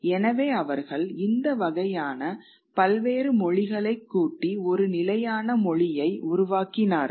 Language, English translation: Tamil, So, they sort of kind of assemble these various languages and created a standard language